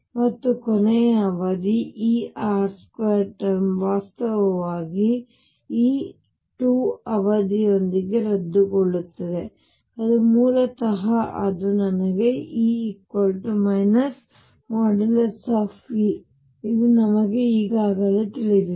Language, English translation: Kannada, And the last term E r square term would actually cancel with this alpha square term that basically it give me E equals minus mod E which we already know